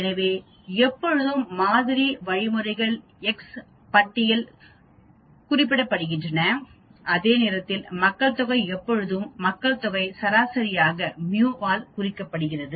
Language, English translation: Tamil, So always sample means are represented by x bar whereas population is always represented by population mean is represented by mu here